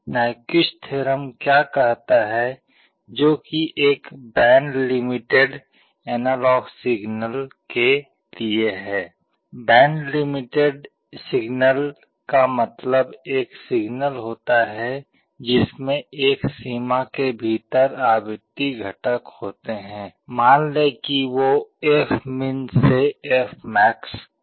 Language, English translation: Hindi, What Nyquist theorem says is that for a band limited analog signal, band limited signal means a signal that has frequency components within a range, let us say fmin to fmax